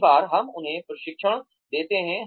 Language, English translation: Hindi, Many times, we give them training